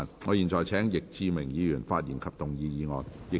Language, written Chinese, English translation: Cantonese, 我現在請易志明議員發言及動議議案。, I now call upon Mr Frankie YICK to speak and move the motion